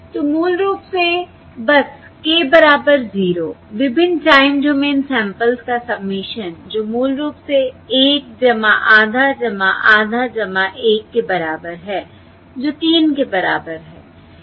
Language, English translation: Hindi, So basically, k equal to simply k equal to 0, the submission of the various time domain samples, which is equal to basically 1 plus half plus half plus 1, which is equal to 3